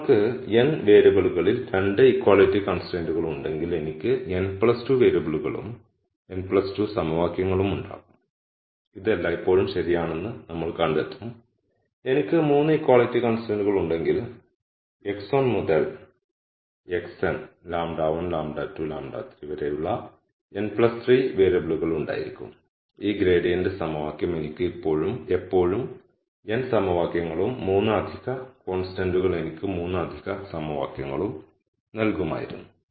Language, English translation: Malayalam, So, if you have 2 equality constraints in n variables I will have n plus 2 variables and n plus 2 equations and we will always find this to be true because if I had 3 equality constraints, I will have n plus 3 variables which would be x 1 to x n lambda 1, lambda 2, lambda 3 and this gradient equation will always give me n equations and the 3 extra consent would have given me the 3 extra equations